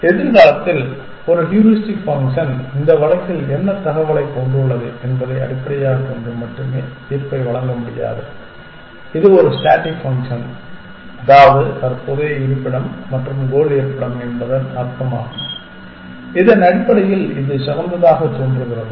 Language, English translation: Tamil, We will not be able to see in the future a heuristic function will make judgment only based on what information it has in this case it is a static function which means the current location and the destination location and based on that this appears to be the best